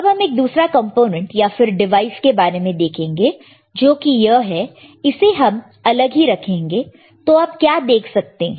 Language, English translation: Hindi, Let us see another component or another device, which is this one now let us keep this separate, what you see here